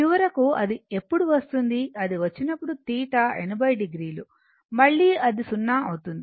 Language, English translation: Telugu, And finally, when it will come theta is 80 degree again it is 0